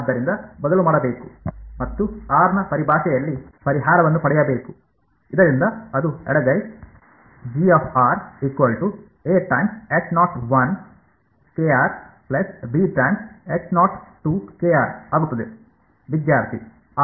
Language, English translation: Kannada, So, I should resubstitute and get the solution in terms of r, so that will become left hand side becomes G of G of